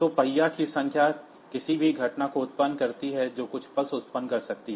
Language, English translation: Hindi, So, number of wheel rotations any event that can generate some pulse